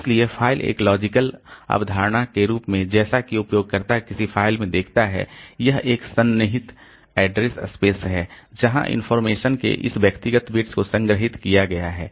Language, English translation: Hindi, So, file as a logical concept, so as a user looks into a file, so it is a contiguous address space where we have got this individual bits of information they are stored